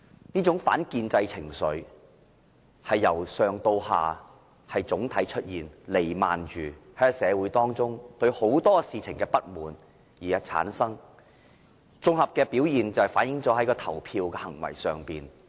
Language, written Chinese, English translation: Cantonese, 這種反建制情緒是由上至下，總體彌漫着社會，由於人們對很多事情的不滿而產生，綜合表現是反映於投票的行為上。, There is a prevalence of anti - establishment sentiment from the bottom of the entire community . It is because there is a general resentment on many issues so it is reflected in the peoples voting behaviour